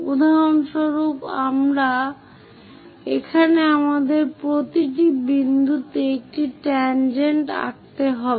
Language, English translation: Bengali, For example, here we have to draw a tangent at each and every point of this